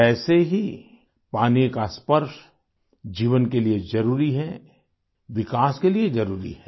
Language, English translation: Hindi, Similarly, the touch of water is necessary for life; imperative for development